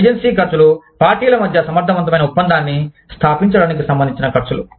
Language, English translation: Telugu, Agency costs are the costs, associated with establishing, efficient contract between the parties